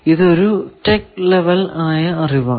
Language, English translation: Malayalam, Tech level knowledge then